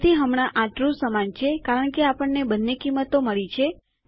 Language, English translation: Gujarati, So right now, this will equal true because we have got both values